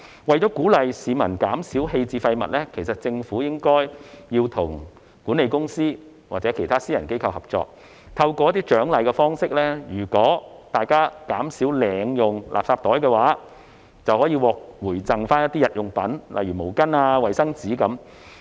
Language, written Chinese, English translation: Cantonese, 為了鼓勵市民減少棄置廢物，政府其實應該與管理公司或其他私人機構合作，採用獎勵方式，如果大家減少領用垃圾袋，便可獲回贈日用品，例如毛巾和衞生紙。, In order to encourage the public to reduce waste disposal in fact the Government should work with the management companies or other private organizations to provide incentives . For instance people who collect and use less garbage bags will be rewarded with daily necessities such as towels and toilet paper